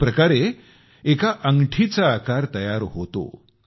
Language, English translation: Marathi, Hence, a ringlike shape is formed